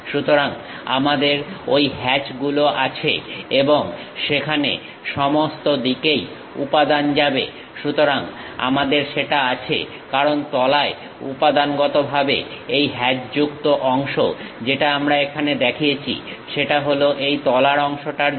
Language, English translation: Bengali, So, we have those hatches and material goes all the way there, so we have that; because bottom materially, the hatched portion what we have shown here is for that bottom portion